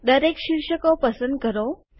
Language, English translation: Gujarati, Select all the headings